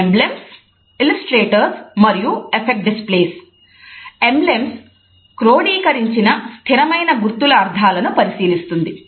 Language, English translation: Telugu, Emblems looks at the codified meanings of fixed symbols